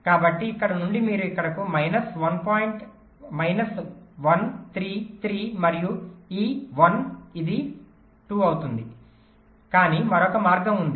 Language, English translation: Telugu, so from here you come here, minus one, three, ah, three and ah, this one, it will become two